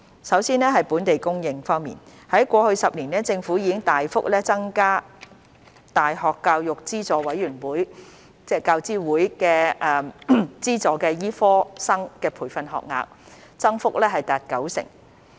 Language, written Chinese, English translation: Cantonese, 首先，在"本地供應"方面，過去10年，政府已大幅增加大學教育資助委員會資助的醫科生培訓學額，增幅達九成。, First in respect of local supply the Government has substantially increased the medical training places funded by the University Grants Committee UGC over the past decade representing an increase of 90 %